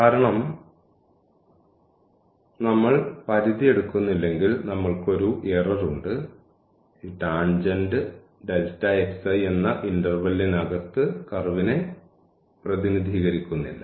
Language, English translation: Malayalam, Because, if we do not take the limit we have the error because this tangent is not representing the curve in this interval delta x i